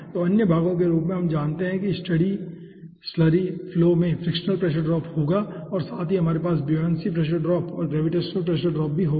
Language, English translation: Hindi, so other parts, as we know that in the steady slurry flow will be having the frictional pressure drop as well as we will be having the buoyancy pressure drop or gravitational pressure drop